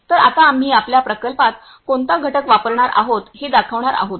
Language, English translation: Marathi, So, now we are going to show you what component we are going to use in our project